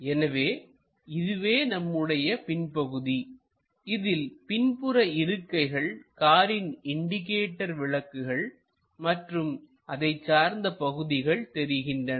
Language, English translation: Tamil, So, this is back side portion, the back side seats and other thingsthe indicator lights and other stuff